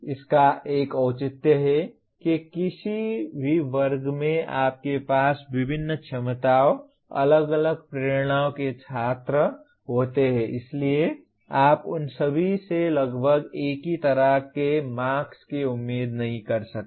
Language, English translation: Hindi, This has a justification that in any class you have students of different abilities, different motivations, so you cannot expect all of them to have roughly the same kind of marks